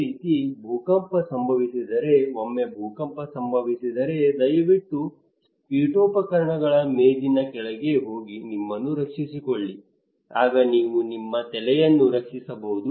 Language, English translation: Kannada, Similarly, if there is an earthquake if we tell people that once there is an earthquake, please protect yourself by going inside the furniture table, then you can protect your head